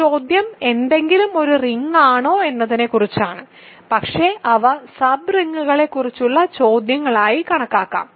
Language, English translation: Malayalam, So, this question is about if something is a ring, but they can also be considered as questions about sub rings